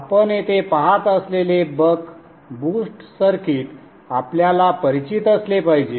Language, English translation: Marathi, The buck boost circuit as you see here must be familiar to you